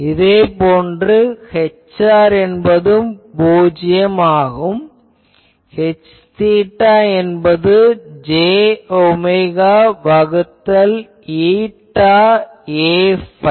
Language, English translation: Tamil, Similarly, H r is also 0; H theta is plus j omega by eta A phi